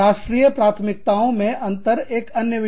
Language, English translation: Hindi, Differing national priorities is another one